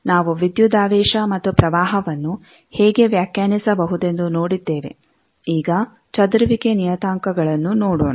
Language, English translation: Kannada, So, we have seen how to define voltage and current now scattering parameters